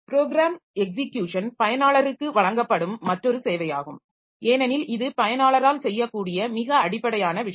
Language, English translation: Tamil, Then program execution, so this is another service that is provided to the user because this is the most fundamental thing that the user be able to do